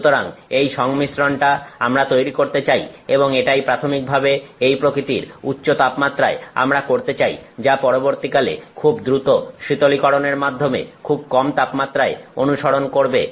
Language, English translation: Bengali, So, that is the combination that we want to create and that is what we are doing with this kind of high temperature initially followed by very fast cooling to very low temperatures